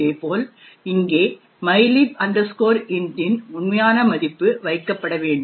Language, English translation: Tamil, Similarly, over here the actual value of mylib int should be placed